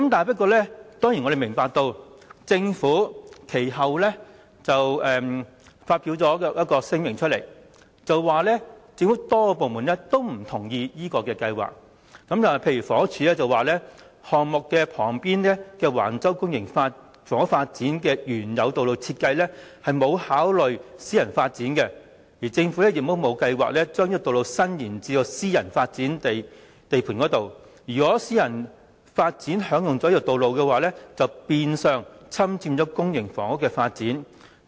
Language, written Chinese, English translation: Cantonese, 不過，我們知道政府其後發出聲明，表示政府多個部門均不同意這項計劃，例如房屋署表示項目旁邊的橫洲公營房屋發展的原有道路設計沒有考慮私人發展，而政府亦沒有計劃將這道路伸延至私人發展地盤，如果私人發展項目將使用這道路的話，便變相侵佔公營房屋的發展。, For instance the Housing Department HD indicated that the original road design for the Public Housing Development Plan at Wang Chau which is adjacent to the development project had not taken into account private development . Neither has the Government had any plan to extend this road to the private development site . The private development project will be deemed to have indirectly encroached on public housing development should this road be used